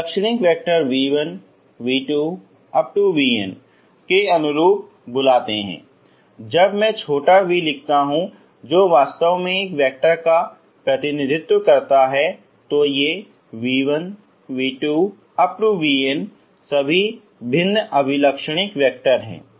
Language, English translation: Hindi, Corresponding Eigen vectors let s call this let s call this as v1 ok v1, v2 when i write v small v that is actually represents a vector ok v1 v2 vn is all Eigen vectors distinct here these are all distinct none of them are each other same ok